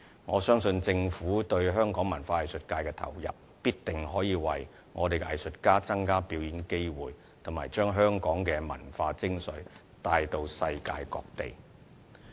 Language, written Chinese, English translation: Cantonese, 我相信政府對香港文化藝術界的投入，必定可以為我們的藝術家增加表演機會，以及將香港的文化精粹帶到世界各地。, I trust that the Governments input in the cultural and arts sectors will definitely mean to increase opportunities for local artists to perform while showcasing the essence of Hong Kong culture in other parts of the world